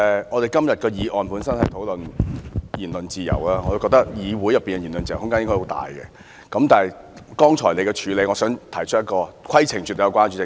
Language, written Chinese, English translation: Cantonese, 我們今天的議案本身是討論言論自由，我覺得議會內的言論自由空間應該很大，但就你剛才的處理手法，我想提出一項規程問題。, Todays motion discusses freedom of speech and I think this Council should have an enormous room for freedom of speech . And yet I would like to raise a point of order with regard to your earlier approach